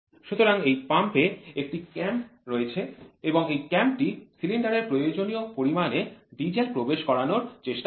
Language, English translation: Bengali, So, in this pump there is a cam and this cam tries to inject the required amount of diesel into the cylinder